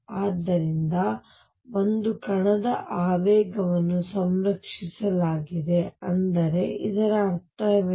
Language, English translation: Kannada, And therefore, momentum of a particle is conserved; that means, what is it mean